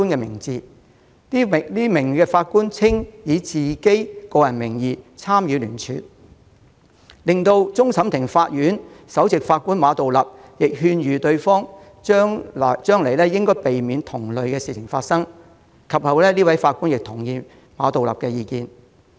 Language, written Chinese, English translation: Cantonese, 雖然該名法官表示，他以個人名義參與聯署，但終審法院首席法官馬道立亦勸諭他將來應避免發生同類事情，該名法官其後亦同意馬道立的意見。, Although the Judge said that he signed the petition in his own capacity Chief Justice Geoffrey MA advised that he should avoid similar incidents in future and the Judge later accepted Geoffrey MAs advice